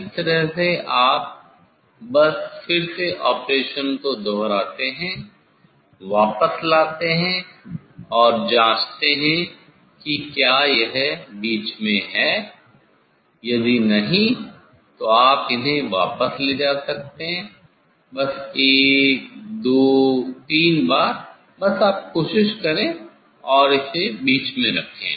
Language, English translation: Hindi, this way you just repeat the operation again, bring back and check it whether it is in middle, if not then you can adjust these take back there, just one two three time, just you can try and keep it in middle